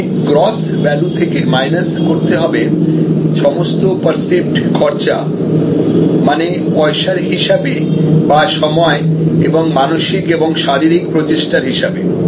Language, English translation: Bengali, This is the gross value minus all perceived outlays in terms of money, time, mental and physical effort etc